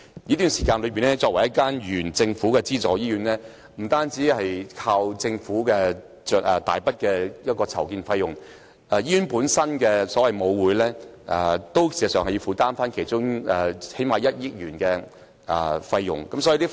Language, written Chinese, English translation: Cantonese, 作為政府資助醫院，聯合醫院的擴建計劃不單要依靠政府提供大筆的擴建費用，醫院本身的母會事實上也要負擔其中最少1億元的費用。, The expansion project of UCH a government subsidized hospital needs to rely not only on the Government to provide a large amount of funding to meet the expansion cost . In fact the parent organization of the hospital itself will also meet at least 100 million of the cost